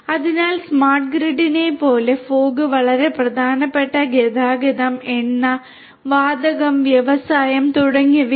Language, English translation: Malayalam, So, like that for smart grid also fog is very important transportation, oil and gas industry and so on